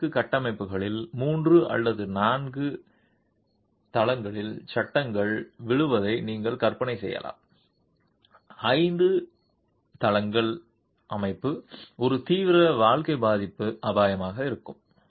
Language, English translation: Tamil, In multi storied structures you can imagine a falling panel from a three or four store, five story structure is going to be a serious life safety hazard